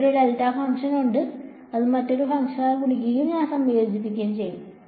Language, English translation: Malayalam, I have a delta function it is multiplying by another function and I am integrating